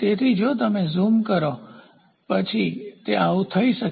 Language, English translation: Gujarati, So, if you zoom into it, so, then it can be like this